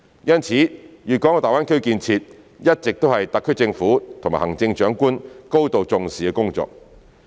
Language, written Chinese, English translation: Cantonese, 因此，大灣區建設一直是特區政府及行政長官高度重視的工作。, Therefore the development of GBA has always been a matter of great importance to the SAR Government and the Chief Executive